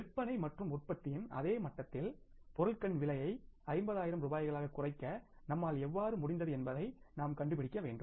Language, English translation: Tamil, We have to look for that that how we have been able to reduce the cost of material at the same level of sales and production by 50,000 rupees